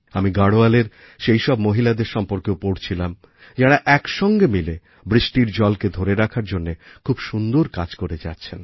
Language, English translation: Bengali, I have also read about those women of Garhwal, who are working together on the good work of implementing rainwater harvesting